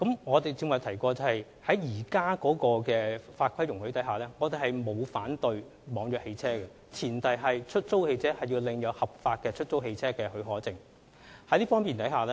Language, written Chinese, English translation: Cantonese, 我剛才也提過，根據現有的法規，我們並不反對網約車，前提是出租汽車必須領有合法的出租汽車許可證。, As I said just now according to the existing legislation we do not oppose e - hailing service on the premise that all hires cars must have HCPs